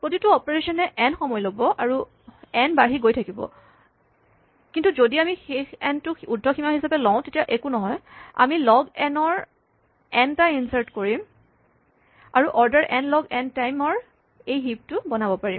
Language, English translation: Assamese, Each operation takes log n time of course, n will be growing, but it does not matter if we take the final n as an upper bound we do n inserts each just log n and we can build this heap in order n log n time